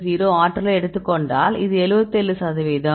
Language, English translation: Tamil, 320, it is 77 percent